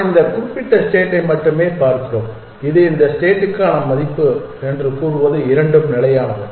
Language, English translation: Tamil, We are only looking at this particular state and saying this is the value for this state both is static